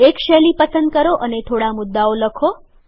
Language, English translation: Gujarati, Choose a style and write few points